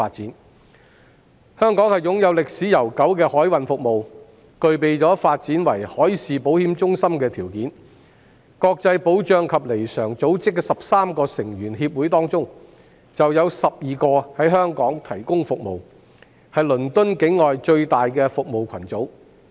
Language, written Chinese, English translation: Cantonese, 海運服務在香港有悠久歷史，香港亦具備發展為海事保險中心的條件，國際保障及彌償組織的13個成員協會當中，有12個在香港提供服務，是倫敦以外最大的服務群組。, Maritime services have a long history in Hong Kong and Hong Kong has the conditions for development into a maritime insurance centre . Twelve of the thirteen members of the International Group of Protection and Indemnity provide services in Hong Kong and it is the largest cluster of representatives outside London